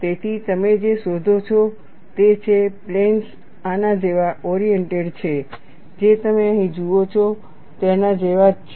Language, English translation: Gujarati, So, what you find is, the planes are oriented like this, very similar to what you see here